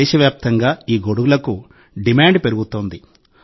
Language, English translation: Telugu, Today the demand for these umbrellas is rising across the country